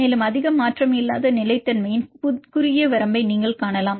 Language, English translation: Tamil, And also you can see the narrow range of stability that there is not much change